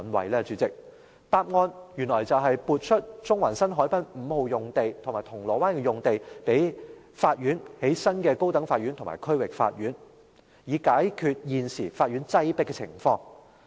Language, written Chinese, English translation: Cantonese, 代理主席，答案原來是撥出中環新海濱五號用地和銅鑼灣用地予法院興建新的高等法院和區域法院，以解決現時法院的擠迫情況。, Deputy President the answer is the allocation of Site 5 of the new Central Harbourfront and another site in Causeway Bay to the courts for the construction of a new High Court Building and District Court Complex in order to alleviate the present congested conditions